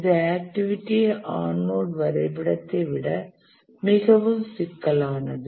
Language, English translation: Tamil, It is much more complicated than the activity on node diagram